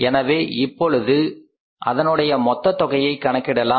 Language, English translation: Tamil, So now we have calculated the prime cost